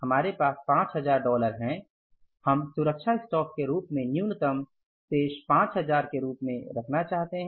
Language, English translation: Hindi, We want to keep as a safety stock minimum balance of the cash as 5,000